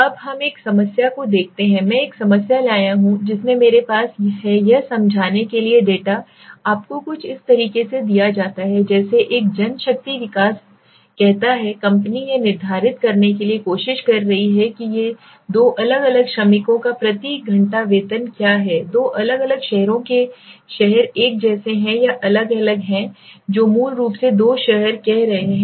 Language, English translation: Hindi, Now let us see a problem I have brought a problem in which I have explain to this the data is given to you something like this it says a manpower development company is determining is trying to see whether the hourly wage of workers in two different cities in two different cities are the same or different what is saying there two cities basically